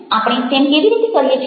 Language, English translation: Gujarati, how do we, how would doing that